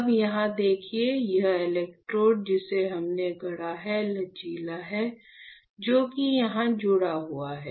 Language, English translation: Hindi, Now you see here, this electrode that we have fabricated right, the flexible one, which is this one is connected